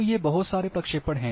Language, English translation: Hindi, So, whole these projections are there